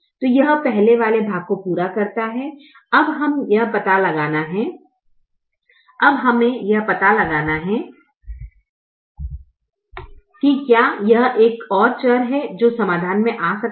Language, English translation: Hindi, we now have to find out whether this there is another variable that can come into the solution